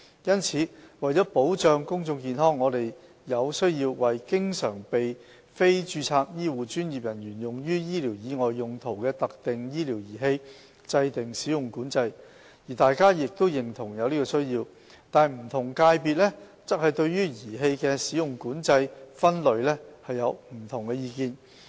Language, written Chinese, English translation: Cantonese, 因此，為保障公眾健康，我們有需要為經常被非註冊醫護專業人員用於醫療以外用途的特定醫療儀器制訂"使用管制"，而大家亦認同有此需要，但不同界別對儀器的"使用管制"分類有不同意見。, In this connection to protect public health there is a need to impose use control on specific medical devices which are often used by non - registered HCPs for non - medical purposes . There is a general consensus on the above need although different sectors have different views regarding use control categorization of the devices